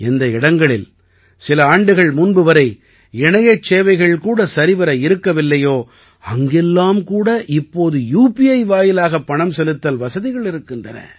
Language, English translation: Tamil, In places where there was no good internet facility till a few years ago, now there is also the facility of payment through UPI